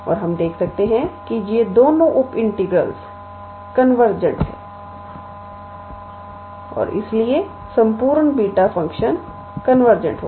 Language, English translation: Hindi, And, we can be able to see that both of these two sub integrals are convergent and therefore, the whole beta function will be convergent